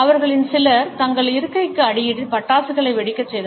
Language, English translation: Tamil, Some of them included bursting crackers beneath their seats